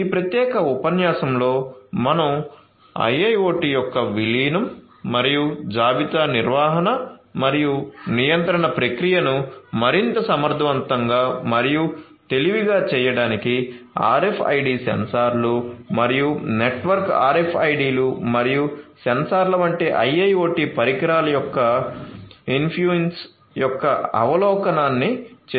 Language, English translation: Telugu, So, in this particular lecture I have given you the an overview of the incorporation of IIoT and the infuse meant of IIoT devices such as RFID sensors and the network RFIDs and sensors for making the inventory management and control process much more efficient and smarter